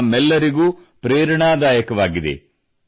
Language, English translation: Kannada, This is an inspiration to all of us too